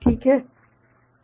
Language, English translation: Hindi, Is it ok